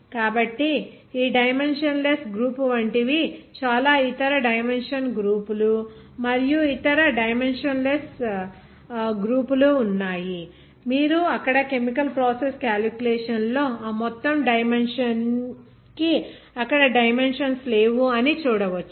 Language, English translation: Telugu, so this dimensionless group so many other dimension groups like this there are so many other dimensionless groups like this you will see in chemical process calculations there and those entire dimension is having no dimensions there